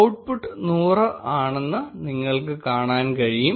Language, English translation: Malayalam, You can see that the output is 100